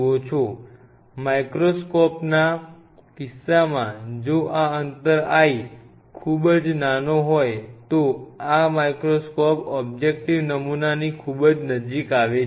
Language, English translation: Gujarati, This l this micro microscope in this case if it is a very small l and this microscope objective has to come very close to the sample